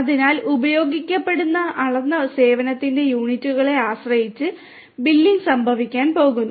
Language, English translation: Malayalam, So, billing is going to happen depending on the units of measured service that are going to be used